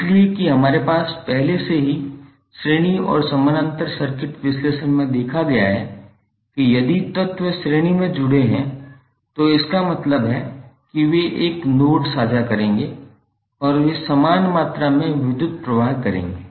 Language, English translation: Hindi, So that we have already seen in the series and parallel circuit analysis that if the elements are connected in series means they will share a single node and they will carry the same amount of current